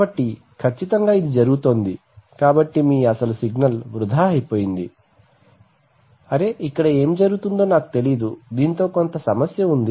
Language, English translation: Telugu, So exactly therefore it is happening, so your original signal was oops, so you are, I do not know what is happening here there is some problem with this